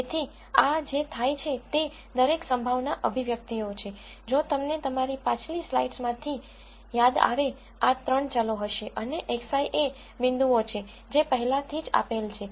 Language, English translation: Gujarati, So, what happens is each of these probability expressions, if you recall from your previous slides, will have these 3 variables and x i are the points that are already given